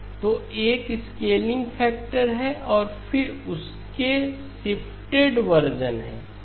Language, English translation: Hindi, So there is a scale factor and then there are shifted versions of that